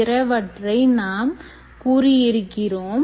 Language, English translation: Tamil, we mentioned about many of them